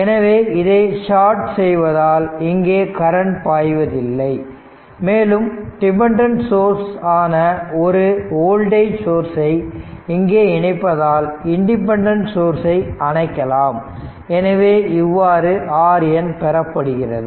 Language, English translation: Tamil, So, this as soon as you sort it, there will be no current through this if if you put a voltage source, and dependent, independent source you put it turn it off right, so this is your how we get R Norton